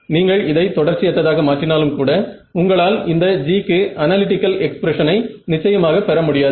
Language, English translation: Tamil, Even if you discretize it you cannot get a you can definitely not get a analytical expression for this G at best you can get numerical values for this